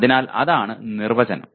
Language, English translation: Malayalam, So that is what the definition is